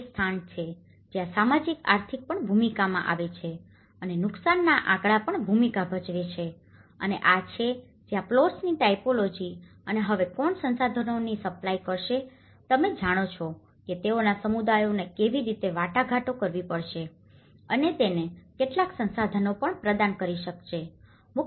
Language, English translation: Gujarati, This is where the socio economics also play into the role and the damage statistics also play into the role and this is where the typology of plots and now who will supply the material resources, you know that is where they have to negotiate with how communities can also provide some resources to it